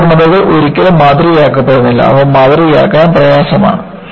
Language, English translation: Malayalam, These imperfections are never model, very difficult to model